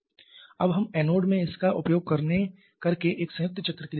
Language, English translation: Hindi, Now we can go for a combined cycle using this in the anode